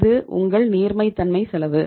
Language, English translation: Tamil, This is the cost of your liquidity